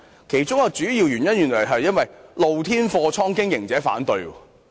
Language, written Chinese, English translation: Cantonese, 其中一個主要原因是露天貨倉的經營者反對。, One main reason is the opposition from the operators of open storage areas